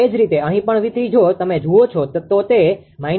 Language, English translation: Gujarati, Similarly, here also V 3 if you look it is minus 0